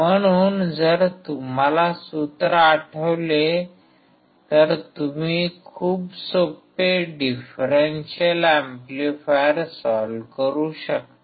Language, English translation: Marathi, So, very easy if you remember the formula you can solve the differential amplifier